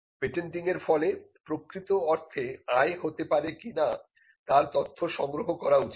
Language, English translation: Bengali, It should also be factored whether the patenting efforts could actually result in revenue